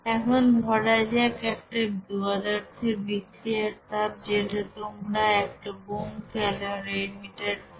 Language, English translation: Bengali, Now considered the heat of reaction of a substance that is you know obtained in a bomb calorimeter